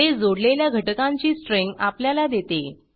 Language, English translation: Marathi, It returns a string of joined elements